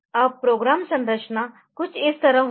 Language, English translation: Hindi, Now, the structure the programme structure will be something like this